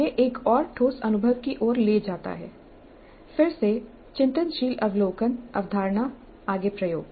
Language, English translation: Hindi, This leads to another concrete experience, again reflective observation, conceptualization, further experimentation